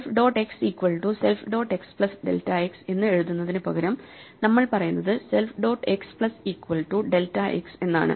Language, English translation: Malayalam, Instead of writing self dot x equal to self dot x plus delta x we just say self dot x plus equal to delta x